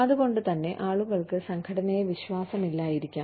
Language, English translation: Malayalam, So, that is why, people may not trust the organization